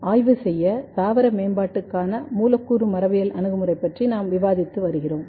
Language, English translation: Tamil, We are still discussing about the Molecular Genetics approaches for the studying Plant Development